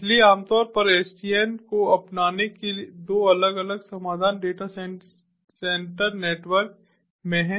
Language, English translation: Hindi, so typically two different solutions of you adoption of sdn in data center networks